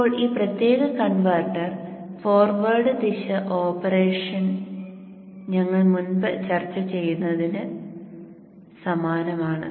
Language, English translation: Malayalam, Now this particular converter, the forward direction operation is exactly same as what we had discussed before